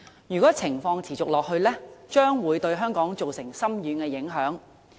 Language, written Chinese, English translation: Cantonese, 如果情況持續，將會對香港造成深遠的影響。, If the situation persists Hong Kong will sustain deep and far - reaching impacts